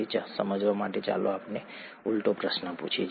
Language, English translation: Gujarati, To understand that let us ask the reverse question